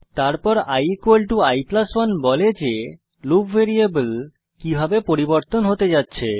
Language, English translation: Bengali, Then i= i+1 , states how the loop variable is going to change